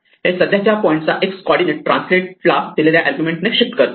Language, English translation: Marathi, This shifts the x coordinate of the current point by the argument provided to translate